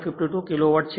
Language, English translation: Gujarati, 52 kilo watt right